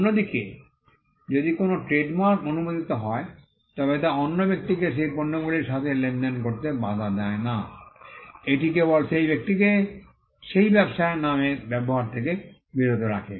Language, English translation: Bengali, Whereas, if a trademark is granted it does not stop another person from dealing with those goods, it only stops the person from using that trade name that is it